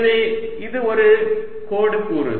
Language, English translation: Tamil, so this is a line element